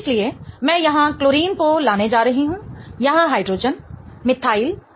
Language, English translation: Hindi, So, I'm going to get chlorine here, hydrogen here, methyl and NH2